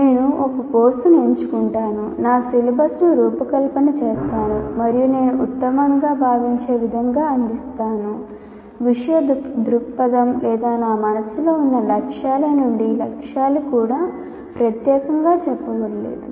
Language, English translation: Telugu, I just pick a course, design my syllabus and offer it the way I consider the best, either from the subject perspective or whatever goals that I have in mind, even the goals are not particularly stated